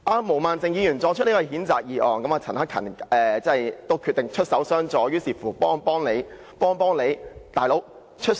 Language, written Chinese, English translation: Cantonese, 毛孟靜議員提出譴責議案，而陳克勤議員決定出手襄助，幫幫何議員。, Ms Claudia MO has moved a censure motion while Mr CHAN Hak - kan has decided to lend a helping hand to save Dr HO